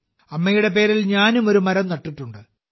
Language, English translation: Malayalam, I have also planted a tree in the name of my mother